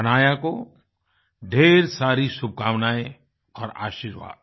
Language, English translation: Hindi, Best wishes and blessings to Hanaya